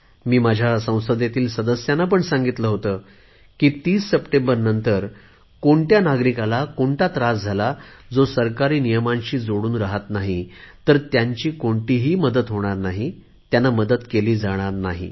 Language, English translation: Marathi, In between, I had even told the Members of the Parliament that after 30th September if any citizen is put through any difficulty, the one who does not want to follow due rules of government, then it will not be possible to help them